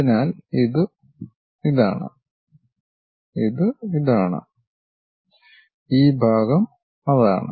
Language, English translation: Malayalam, So, this one is this, this one is this and this part is that